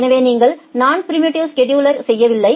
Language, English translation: Tamil, So, you are not non preemptive scheduling